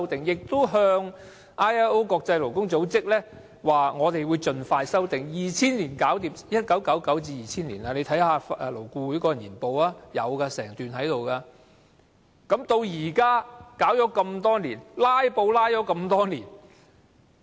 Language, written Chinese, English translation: Cantonese, 勞工處亦已向國際勞工組織表明會盡快修訂，這已是1999年、2000年的事，大家可以看看勞顧會的年報，當中有整段講述此事項。, The Labour Department also told the International Labour Organisation that it would amend the Ordinance as soon as possible . All these happened in 1999 and 2000 . Members can read the annual report of LAB which contained a paragraph on this issue